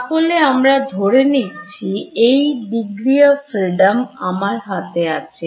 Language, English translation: Bengali, So, supposing I specify this degree of freedom was there in my hand right